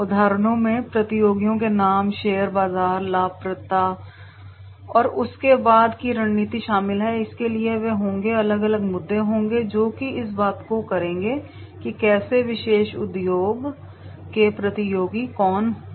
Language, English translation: Hindi, Examples include names of competitors, market shares, profitability and specifics strategy thereof, so therefore they will be, the different issues will be there which will be talking about that is how, who are the competitors of the particular industry